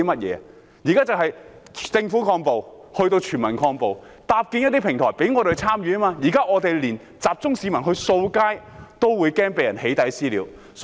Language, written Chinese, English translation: Cantonese, 現在是由政府抗暴，提升至全民抗暴，要搭建一些平台讓我們參與，現在我們連集中市民去清理街道，亦害怕被人"起底"和"私了"。, Now we have to advance from countering violence by the Government to countering violence by all the people so some sort of a platform must be erected for our participation . Presently we are afraid of being doxxed and subjected to vigilante attacks even if we gather members of the public to clean up the streets